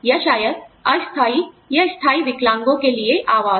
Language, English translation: Hindi, Or, maybe accommodations, for temporary or permanent disabilities